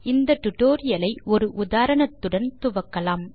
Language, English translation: Tamil, Let us start this tutorial with the help of an example